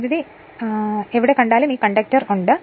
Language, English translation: Malayalam, Wherever you see the current this conductor are there